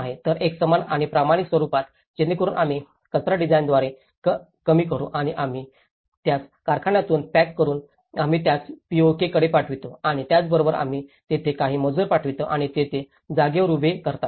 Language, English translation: Marathi, So, in a uniform and standardized format, so that we can reduce the waste by design and we pack it from the factory, we ship it to the POK and as well as then we send to few labours there and they erect it on spot